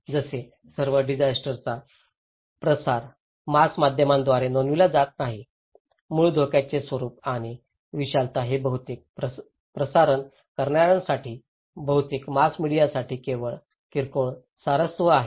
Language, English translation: Marathi, Like, all disasters are not reported by the mass media, the nature and magnitude of the original hazards are only minor interest for most of the transmitter, most of the mass media